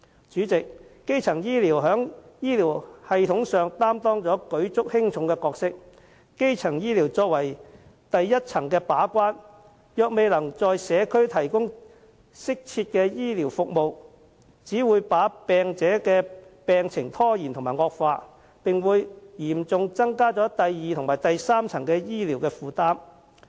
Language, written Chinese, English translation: Cantonese, 主席，基層醫療在醫療系統上擔當舉足輕重的角色，作為第一層把關，如果基層醫療未能在社區提供適切的服務，只會令病者的病情延誤及惡化，並會嚴重增加第二及第三層醫療的負擔。, President primary health care plays a great role in health care system . As front - line gatekeeper if primary health care fails to offer appropriate services in the community treatment to patients will be delayed their conditions deteriorated and hence burdens added on significantly to secondary and tertiary health care